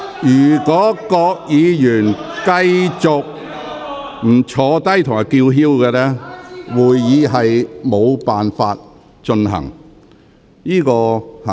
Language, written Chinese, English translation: Cantonese, 如果議員拒絕坐下並繼續叫喊，會議將無法進行。, If Members refuse to sit down and keep shouting it will be impossible for the meeting to proceed